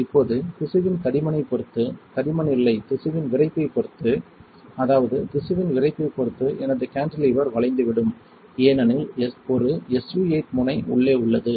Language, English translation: Tamil, Now depending on the thickness of the tissue, depending on the stiffness of the tissue not thickness, stiffness of the tissue my cantilever will bend right, because there is a SU 8 tip that will indent